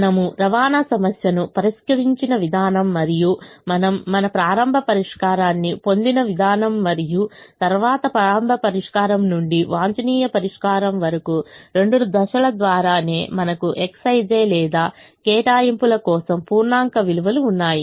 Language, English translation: Telugu, the way we have solved the transportation problem and the way we obtained our starting solution and then from the starting solution to the optimum solution, the two stage, right through we had integer values for the x, i, j's or the allocations